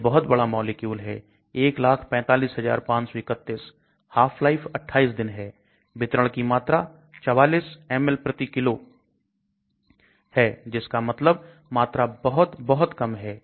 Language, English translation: Hindi, It is a huge molecule 145531, half life of 28 days, the volume of distribution is 44 ml per kg that means the volume is very, very low